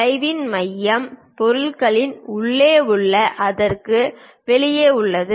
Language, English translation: Tamil, The center of the arc is not somewhere inside the object somewhere outside